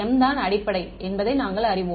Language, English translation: Tamil, We know that m is the basis